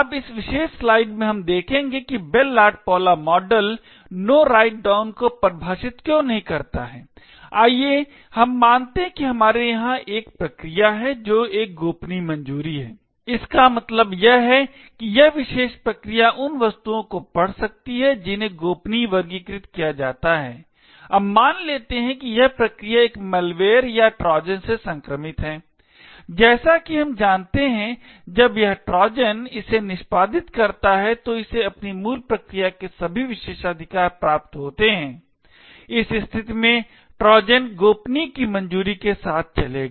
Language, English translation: Hindi, Now in this particular slide we will see why the Bell LaPadula model defines No Write Down, let us assume that we have a process over here which is having a confidential clearance, this meant to say this particular process can read objects that are classified as confidential, now let us assume that this process is infected by a malware or a Trojan as we know when this Trojan executes it inherits all the privileges of its parent process, in this case the Trojan will run with a clearance of confidential